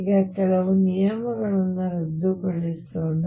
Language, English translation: Kannada, Now let us cancel certain terms